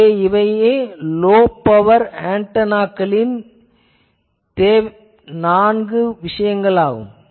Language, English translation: Tamil, So, these are the four requirements of any low power GPR type of antenna